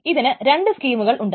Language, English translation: Malayalam, So for that there are these two schemes